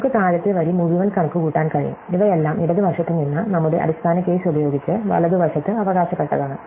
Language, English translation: Malayalam, So, we can compute the entire bottom row and these are all inherited from the left using our base case, right